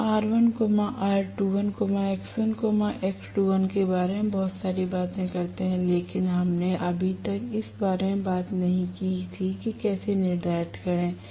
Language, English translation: Hindi, We talk so much about R1 R2 dash x1 x2 dash but we did not talk so far as to how to determent them